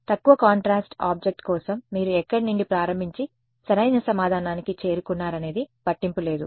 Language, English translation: Telugu, So, for a low contrast object it does not matter where you start from and you arrive at the correct answer